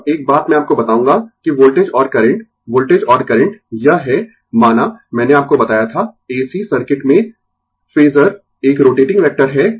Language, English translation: Hindi, Now, one thing I will tell you that voltage and current, voltage and current this is I say, I told you in ac circuit phasor is a rotating vector